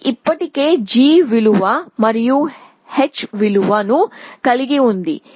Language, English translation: Telugu, So, it already has a g value and an h value as well